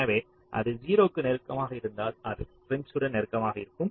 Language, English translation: Tamil, so if it is closer to zero, closer to zero means it will be closer to prims